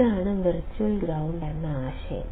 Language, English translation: Malayalam, This is the concept of virtual ground